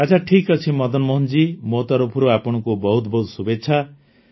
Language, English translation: Odia, Well, Madan Mohan ji, I wish you all the best